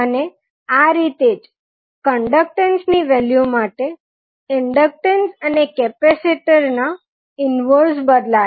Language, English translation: Gujarati, And similarly, the values of like conductance the inverse of inductor and capacitor will change